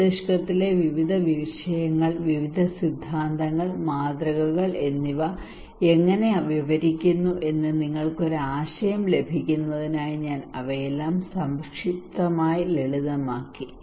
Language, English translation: Malayalam, I just simplified all of them in a concise manner so that you can get an idea how this our reasoning process in brain various disciplines, various theories and models describe